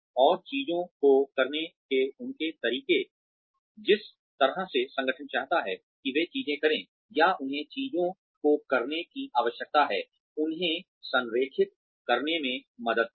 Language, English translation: Hindi, And, help them align, their ways of doing things, with the way, the organization wants them to do things, or needs them to do things